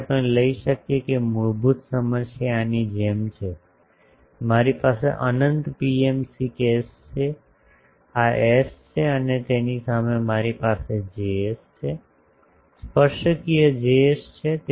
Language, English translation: Gujarati, So, we can take that basically the problem is like this, I have an infinite PMC case this is S and in front of that I have a Js, tangential Js